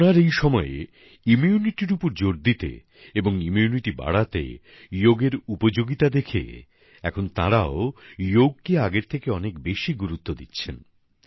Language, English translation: Bengali, In these times of Corona, with a stress on immunity and ways to strengthen it, through the power of Yoga, now they are attaching much more importance to Yoga